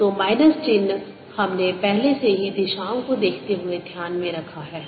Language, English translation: Hindi, so minus sign we have already taken care of by looking at the directions